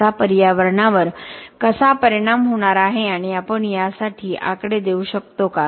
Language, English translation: Marathi, How is this going to affect the environment and can we come up with numbers for this